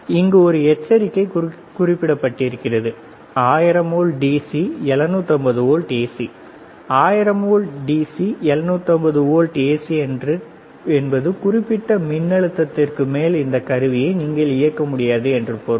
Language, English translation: Tamil, There is written here warning is a warning 1000 volts DC, 750 volts AC, 1000's volt DC, 750 volts AC may means that you cannot operate this equipment at that particular voltage is